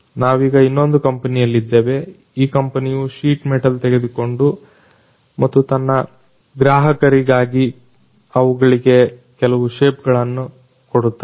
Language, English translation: Kannada, So, right now we are in another company which is basically into the business of taking sheet metals and giving it some kind of a shape for its clients